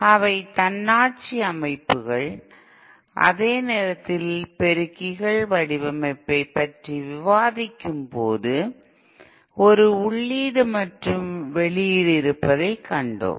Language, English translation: Tamil, In that they are autonomous systems, whereas the amplifiers while discussing amplifier design, we had seen there is an input and output